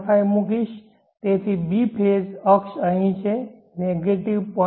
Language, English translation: Gujarati, 5 so B phase axis is here negative 0